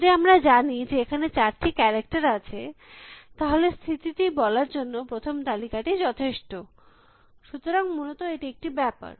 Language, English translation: Bengali, If we know that they are these only four characters around, the first list is enough to tell us what the state is, so that is one thing essentially